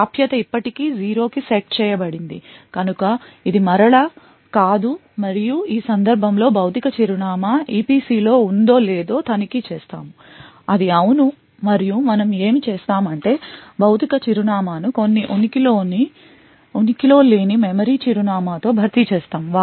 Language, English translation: Telugu, so enclave access is set still set to zero so it is no again and then we check whether the physical address is in the EPC in this case it is yes and what we do is that we replace the physical address with some non existent memory address essentially we are going to actually fill in some garbage and permit the access